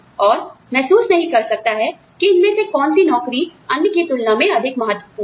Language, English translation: Hindi, And, may not realize, which of these jobs is, more important than the other